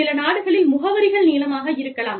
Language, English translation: Tamil, Some countries, the addresses may be longer